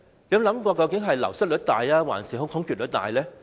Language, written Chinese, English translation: Cantonese, 究竟是流失率大，還是空缺率大呢？, Is the turnover rate higher or the vacancy rate higher?